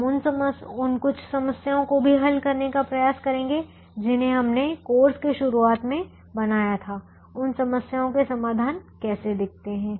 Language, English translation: Hindi, we'll also try and solve some of the problems that we formulated at the very beginning of the course to understand how the solutions to those problems look like